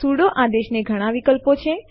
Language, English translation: Gujarati, The sudo command has many options